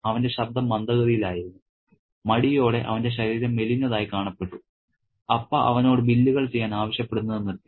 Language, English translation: Malayalam, So, his voice was slow, hesitant, his body looked thinner, Appa had stopped asking him to do the bills